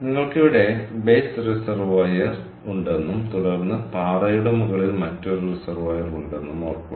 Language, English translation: Malayalam, so remember, you have base reservoir here and then at the top of the cliff you have another reservoir